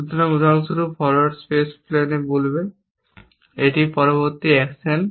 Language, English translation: Bengali, So, for example, forward space place would say this is the next action